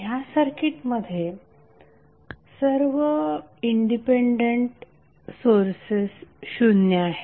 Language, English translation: Marathi, Here the circuit with all independent sources equal to zero are present